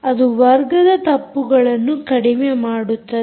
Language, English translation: Kannada, that minimizes the square error